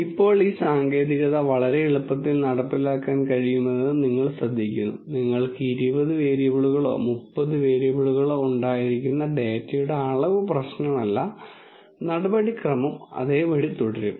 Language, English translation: Malayalam, Now, you notice this technique is very very easily implementable it does not matter the dimensionality of the data you could have 20 variables, 30 variables the procedure remains the same